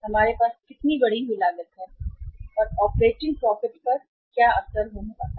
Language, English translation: Hindi, How much increased cost we are going to have and what is going to be the impact upon the operating profit